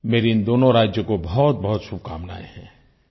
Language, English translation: Hindi, I wish the very best to these two states